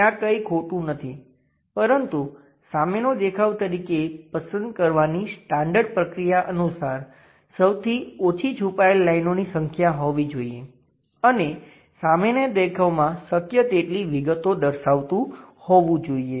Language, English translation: Gujarati, There is nothing wrong, but the standard procedure to pick something as ah front view as supposed to have this fewest number of hidden lines and is supposed to explore as many details as possible at that front view level